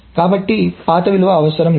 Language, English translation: Telugu, So the old value is not needed